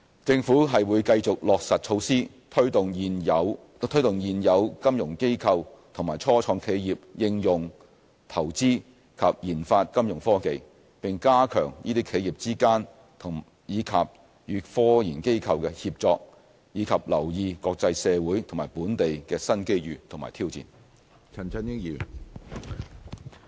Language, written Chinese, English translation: Cantonese, 政府會繼續落實措施，推動現有金融機構及初創企業應用、投資及研發金融科技，並加強這些企業之間，以及與科研機構的協作，以及留意國際社會和本地的新機遇及挑戰。, The Government will continue to implement initiatives to promote Fintech application investment and development by existing financial institutions and start - ups as well as strengthen enterprise - level collaboration and cooperation between enterprises and research institutes . We will also monitor any emerging opportunities and challenges on the international and local horizons